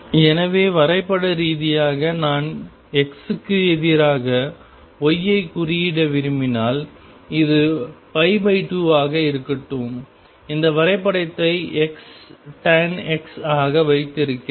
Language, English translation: Tamil, So graphically if I want to plot x versus y that this be pi by 2, then I have this graph as x tangent of x